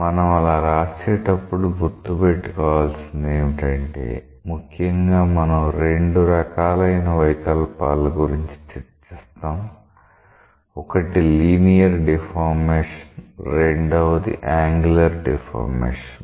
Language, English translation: Telugu, When we do that we have to keep in mind that we will be essentially bothering about two types of deformations; one is the Linear, another is the Angular deformation